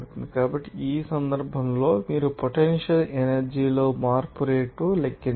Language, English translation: Telugu, So, in this case, you have to calculate the rate of change in the potential energy